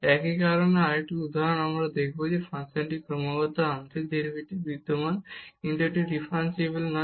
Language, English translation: Bengali, Another example of similar kind here also we will see that the function is continuous partial derivatives exist, but it is not differentiable